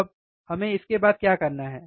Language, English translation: Hindi, Then, what is the next